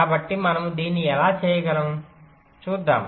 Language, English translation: Telugu, so how we can do this